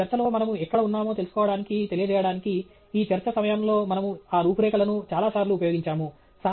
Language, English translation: Telugu, And we used that outline at several times during this talk to keep track of, to convey, where we were in this talk